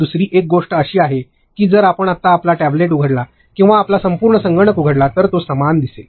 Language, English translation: Marathi, Another thing is that if you open up your tablet now or just go and open your entire computer, it will look the same